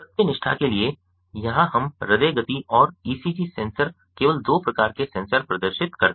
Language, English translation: Hindi, for the sake of probity here we display only two types of sensors: the heart rate and a ecg sensors